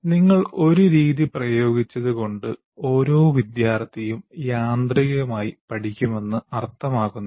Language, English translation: Malayalam, Just because you applied a method, it doesn't mean that every student automatically will learn